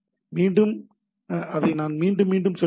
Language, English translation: Tamil, So, again, let me little bit repeat it